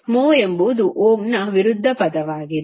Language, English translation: Kannada, Mho is nothing but the opposite of Ohm